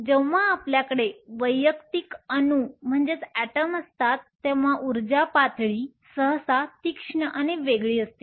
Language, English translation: Marathi, When you have an individual atom the energy levels are usually sharp and distinct